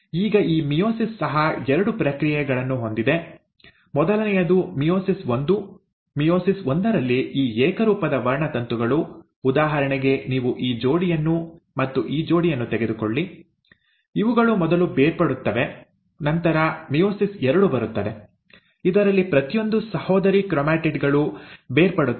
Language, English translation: Kannada, Now, so again meiosis has two processes; first is meiosis one; in meiosis one, these homologous chromosomes, for example you take this pair and this pair, they will first get separated and then you will have meiosis two, in which each of the sister chromatids will get separated